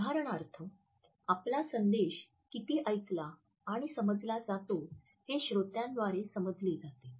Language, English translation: Marathi, For example, how much of our message has been understood by the listener